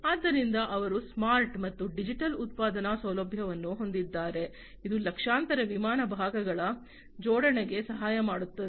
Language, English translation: Kannada, So, they have the smart and digital manufacturing facility, which helps in the assembly of millions of aircraft parts